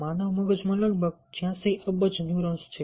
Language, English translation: Gujarati, there are about eighty six billion, eighty six billion neurons in the human brain